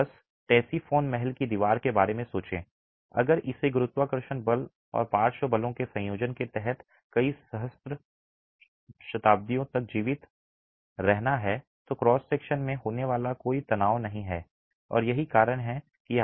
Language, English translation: Hindi, If it has to survive several millennia under a combination of gravity forces and lateral forces, there is no tension occurring in the cross section and that's why it's 5 meters at the base